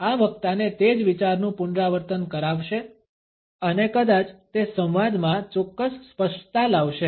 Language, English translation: Gujarati, This would cause the speaker to repeat the same idea and perhaps it would bring certain clarity in the dialogue